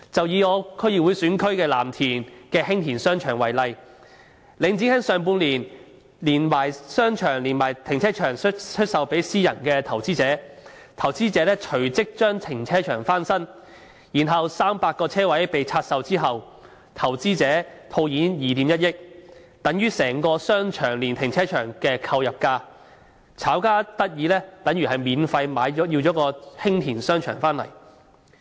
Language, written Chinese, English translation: Cantonese, 以我的區議會選區藍田的興田商場為例，領展在今年上半年將商場連停車場出售予私人投資者，投資者隨即將停車場翻新 ，300 個車位被拆售後，投資者套現2億 1,000 萬元，等於整個商場連停車場的購入價，即是炒家免費購入興田商場。, For example Hing Tin Commercial Centre in Lam Tin which is my District Council constituency was sold by Link REIT together with the car park to a private investor in the first half of this year who then immediately renovated the car park and divested all 300 individual parking spaces cashing in 210 million equivalent to the purchase price of the entire commercial centre plus car park meaning the speculator literally bought Hing Tin Commercial Centre for free